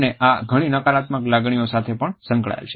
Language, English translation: Gujarati, And this is also associated with many negative feelings